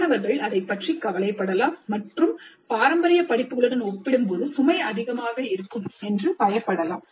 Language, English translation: Tamil, Students may be concerned about it and fear that the load would be overwhelming compared to traditional courses